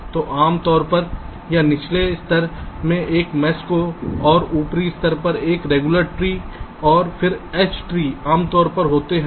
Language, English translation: Hindi, so we normally have a mesh in the lower level and a regular tree at the upper level and then a h tree, usually ok, fine